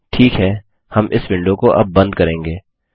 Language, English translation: Hindi, Okay, we will close this window now